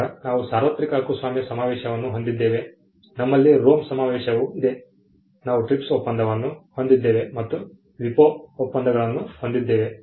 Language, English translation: Kannada, Then we had the universal copyright convention we also have the ROME convention, we had the TRIPS agreement, and a host of WIPO treaties